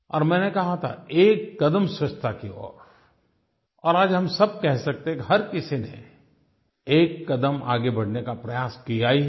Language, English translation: Hindi, I had said 'one step towards cleanliness' and today we can say that each one of us has definitely tried to take one step further